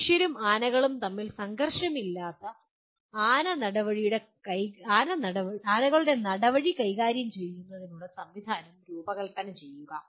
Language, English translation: Malayalam, Design a system for managing an elephant corridor without conflict between humans and elephants